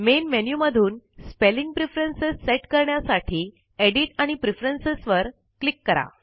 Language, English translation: Marathi, To set spelling preferences, from the Main menu, click Edit and Preferences